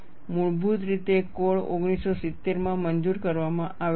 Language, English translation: Gujarati, Originally the code was approved in 1970